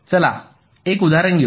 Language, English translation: Marathi, lets take an example